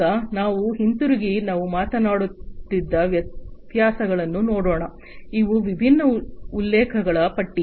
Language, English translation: Kannada, Now, let us go back and look at the differences that we were talking about, these are the list of different references